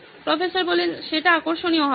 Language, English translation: Bengali, That will be interesting